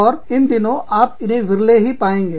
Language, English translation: Hindi, And, these days, you rarely find that